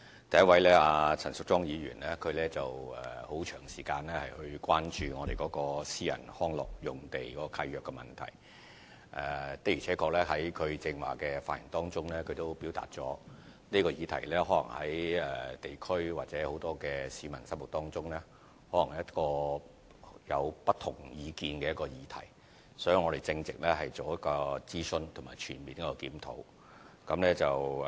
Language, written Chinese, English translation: Cantonese, 第一位是陳淑莊議員，她很長時間關注私人遊樂場地契約的問題，在剛才的發言中她亦表達了，這個議題可能在地區或很多市民心目中是一個有不同意見的議題，所以我們正在進行諮詢及全面檢討。, The first Member is Ms Tanya CHAN who has been expressing concern on the question about private recreational leases . She said earlier on that there may have divergent views in the community or from the public on this issue . That is why we are conducting a consultation and comprehensive review